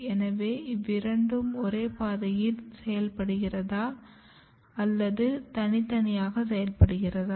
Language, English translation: Tamil, Do are they working through the same pathway or they are working independently